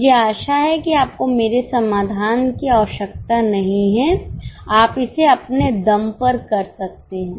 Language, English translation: Hindi, I hope you know't need my solution, you can do it on your own